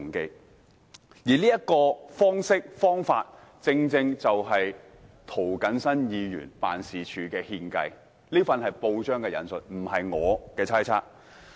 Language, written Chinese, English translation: Cantonese, 今次這種方式，由涂謹申議員辦事處獻計，這是引述報章報道，而不是我的猜測。, Quoting a newspaper report instead of my own speculation this approach was suggested by Mr James TOs office